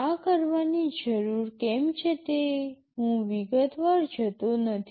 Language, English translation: Gujarati, The need for doing this I am not going into detail